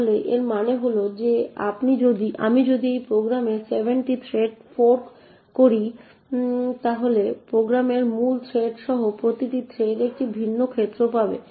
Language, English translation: Bengali, So what this means is that if I fork 7 threads in this program then each thread including the main thread of the program would get a different arena